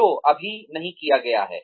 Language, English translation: Hindi, That is just not done